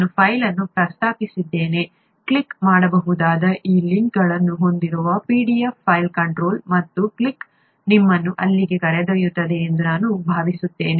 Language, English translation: Kannada, I did mention a file, a pdf file that would have these links that can be clicked, I think control and a click would take you there